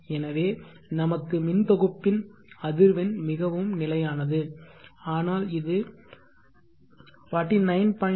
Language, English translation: Tamil, So for us the grid frequency is very stable it varies between 49